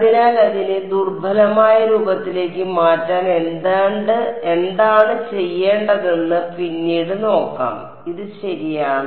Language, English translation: Malayalam, So, subsequently we will see what we need to do to convert it into the weak form this is fine ok